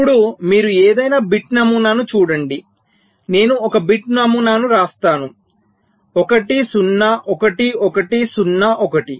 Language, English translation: Telugu, lets say i write a bit pattern: one zero one, one zero one